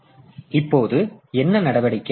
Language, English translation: Tamil, So, what is the, what is the action now